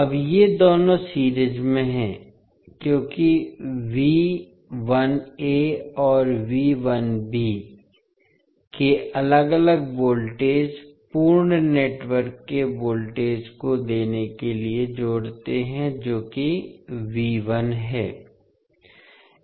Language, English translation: Hindi, Now, these two are in series because the individual voltages that is V 1a and V 1b add up to give the voltage of the complete network that is V 1